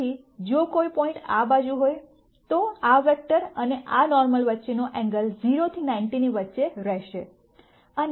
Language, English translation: Gujarati, So, if a point is this side, the angle between this vector and this normal is going to be between 0 and 90